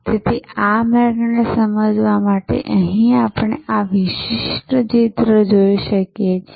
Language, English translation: Gujarati, So, to understand this pathway, we can look at this particular picture here